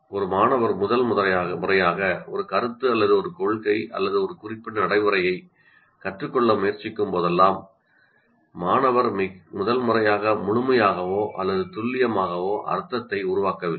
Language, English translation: Tamil, Whenever a student is trying to learn first time a concept or a principal or a certain procedure, what happens, the students do not construct meaning fully or accurately the first time